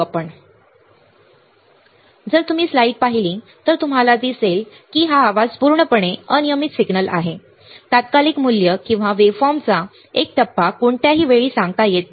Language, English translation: Marathi, So, if you see the slide, you see that noise is purely random signal, the instantaneous value or a phase of waveform cannot be predicted at any time